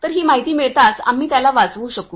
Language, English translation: Marathi, So, as soon as we get this information, we will be able to rescue him